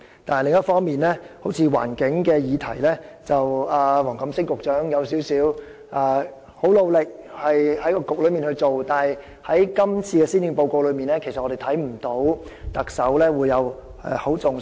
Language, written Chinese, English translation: Cantonese, 但是，另一方面，在例如有關環境的議題上，縱使黃錦星局長相當努力，但在今年的施政報告中卻看不到特首有加以重視。, However on the other hand although Secretary WONG Kam - sing has been working very hard on such issues as environmental protection the Chief Executive has attached not too much importance to the policy area in this Policy Address